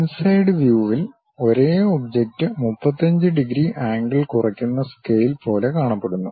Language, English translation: Malayalam, Inside view the same object looks like a reduce scale making 35 degrees angle